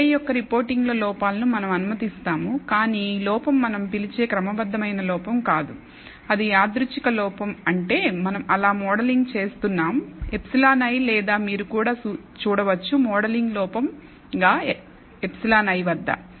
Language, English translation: Telugu, We allow for errors in the reporting of y i, but the error is not what we call a systematic error it is a random error that is how we are modeling epsilon i or you could also look at epsilon i as a modeling error